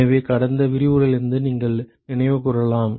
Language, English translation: Tamil, So, you may recall from the last lecture